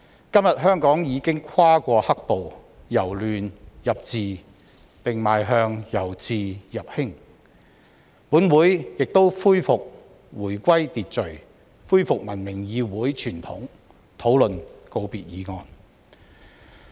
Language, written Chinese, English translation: Cantonese, 今天香港已經跨過"黑暴"，"由亂入治"，並邁向"由治入興"，本會亦回歸秩序，恢復文明議會傳統，討論告別議案。, Today having survived the turmoil of black - clad violence Hong Kong is able to turn chaos into order and is moving from order towards prosperity . Meanwhile order in the Council has also been restored and so have the conventions of a civilized legislature where discussion on the valedictory motion can proceed